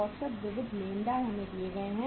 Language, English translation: Hindi, Average sundry creditors we are given